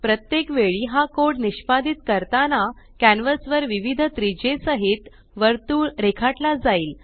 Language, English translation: Marathi, Every time you execute this code, a circle with a different radius is drawn on the canvas